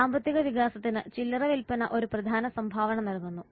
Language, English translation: Malayalam, Retailing has major contribution in economic development